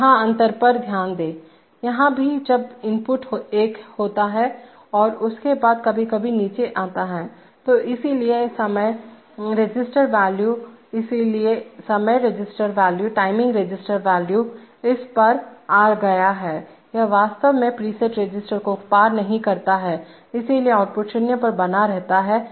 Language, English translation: Hindi, Now note the difference here, here also when the input goes one and then after sometimes comes down, so the, so the timing register value, so this, so the timing register value came up to this it actually did not cross the preset register, so the output is maintained to 0